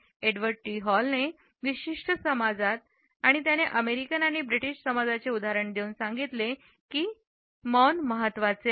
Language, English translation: Marathi, Edward T Hall has commented that in certain societies and he has given the example of the American and British societies words are important